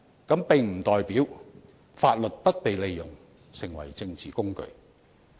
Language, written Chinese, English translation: Cantonese, 這並不代表法律不被利用成為政治工具。, This does not mean that the law will not be exploited as a political tool